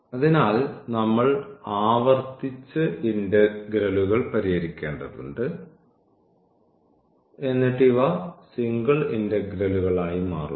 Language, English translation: Malayalam, So, we have to again iteratively solve the integrals like and then these becomes single integrals